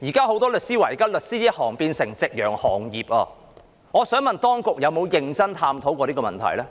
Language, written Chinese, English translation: Cantonese, 很多律師說現時他們的行業已變成夕陽行業，當局有否認真探討這問題？, Many lawyers said that the legal profession had become a sunset profession . Have the authorities seriously examined this problem?